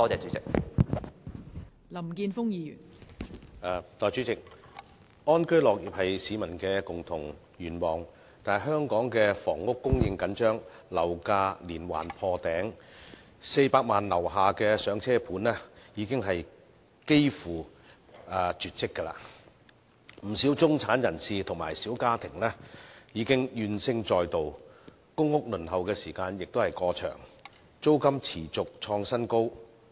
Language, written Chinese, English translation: Cantonese, 代理主席，安居樂業是市民的共同願望，但香港的房屋供應緊張，樓價連環破頂 ，400 萬元以下的"上車盤"已經幾乎絕跡，不少中產人士和小家庭已怨聲載道，公屋輪候時間過長，租金持續創新高。, Deputy President to live and work in contentment is a common aspiration among members of the public but in Hong Kong given the tight housing supply and constant record - breaking property prices flats priced below 4 million for first - time home buyers are almost non - existent thus there is widespread discontent among many middle - class people and small families . The waiting time for public rental housing PRH is excessively long and rents have kept scaling new heights